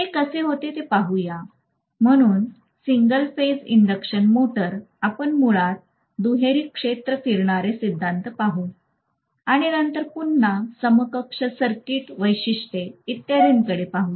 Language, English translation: Marathi, Let’s see how it goes, so single phase induction motor we will be looking at basically double field revolving theory and then we will be looking at again equivalent circuit characteristics, etc